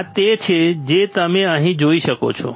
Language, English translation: Gujarati, This is what you can see here